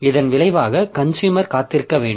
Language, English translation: Tamil, So, as a result, the consumer should be made to wait